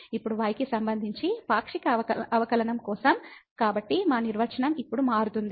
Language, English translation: Telugu, Now, for the partial derivative with respect to , so our definition will change now